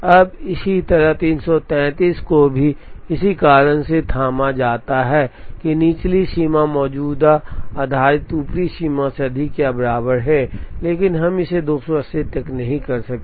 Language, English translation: Hindi, Now, similarly the 333 is also fathomed for the same reason, that lower bound is greater than or equal to the current based upper bound, but we cannot do that to this 280